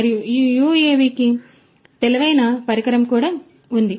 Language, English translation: Telugu, And, this UAV also has an intelligent device